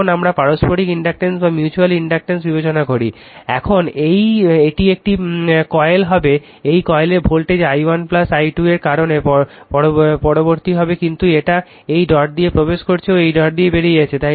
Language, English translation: Bengali, Now let us consider the mutual inductance, now it will be this coil in this coil voltage will be induced due to i 1 plus i 2, but it is by entering the dot leaving the dot